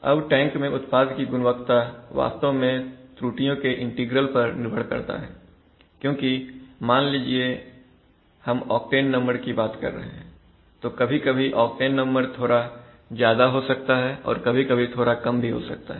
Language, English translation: Hindi, So now what is the, so the properties of the product which you, properties of the product in the tank is actually and it depends on the integral of the error because suppose we are talking of octane number, so suppose sometimes octane number is going a little high for some time when you are producing sometimes it is going a little low